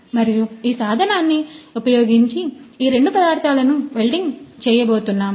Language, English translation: Telugu, And this is the tool which is going to weld these two materials